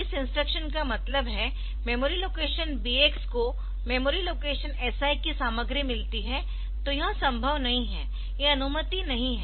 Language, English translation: Hindi, Here what I wanted to mean is the memory location BX gets the content of memory location SI, so that is not allowed